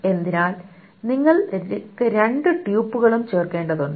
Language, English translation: Malayalam, So you require both the tuples to be inserted